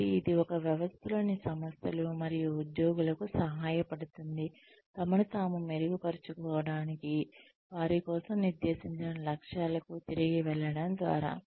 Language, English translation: Telugu, So, it provides the system, that is put in place, helps organizations and employees, sort of improve themselves, by going back to the objectives, that have been set for them